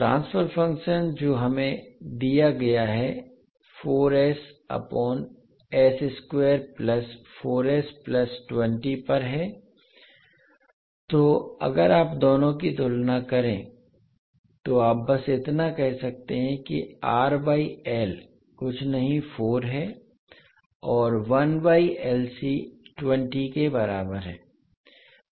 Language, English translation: Hindi, The transfer function which is given to us is 4s upon s square plus 4s plus 20, so if you compare both of them you can simply say that R by L is nothing but equal to 4 and 1 by LC is equal to 20